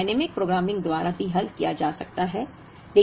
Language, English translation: Hindi, The problem could also be solved by dynamic programming